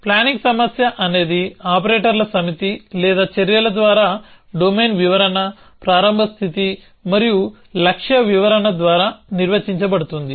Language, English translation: Telugu, A planning problem is defined by a set of operators or actions a domain description, starts state and a goal description essentially